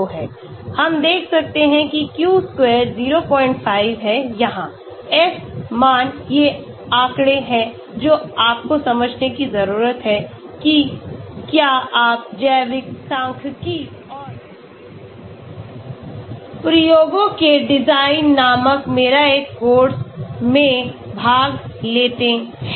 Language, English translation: Hindi, 5 here, F value these are statistics which you need to understand if you attend a course of mine called biostatistics and design of experiments